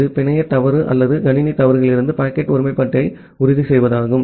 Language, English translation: Tamil, It is just to ensure packet integrity from the network fault or the system faults